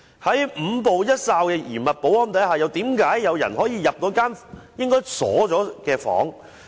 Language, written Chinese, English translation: Cantonese, 在五步一哨的嚴密保安之下，為何有人可以進入一間應該已經上鎖的房間？, In a highly secure and guarded environment how could someone enter a room which was supposed to be locked?